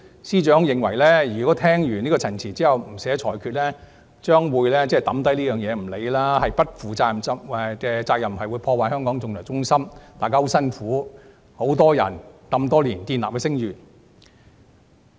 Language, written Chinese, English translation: Cantonese, 司長認為，如果聽完陳辭後不寫裁決，將案件放下不管，是不負責任的做法，會破壞香港國際仲裁中心多年來由多人辛苦建立的聲譽。, The Secretary for Justice opined that it would be irresponsible to leave the case unfinished without writing up a judgment after hearing the submissions . This would ruin the hard - earned reputation of HKIAC which has been built painstakingly by many people for many years